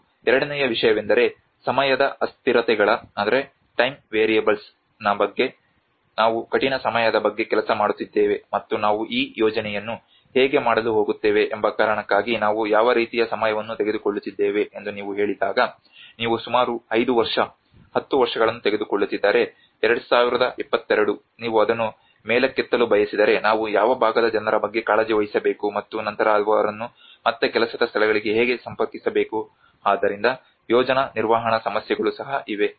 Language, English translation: Kannada, And the second thing is about the time variables, when we say about the time various you know what kind of because we are working in a harsh weather conditions and how we are going to move this project let us say if you are taking about 5 year, 10 year, 2022 if you want to move it up then what segment of the people we have to take care and then how to connect them again back to the workplaces so there is a lot of project management issues as well